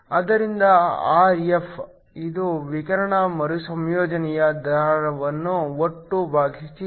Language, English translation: Kannada, So, Rr, which is the radiative recombination rate divided by the total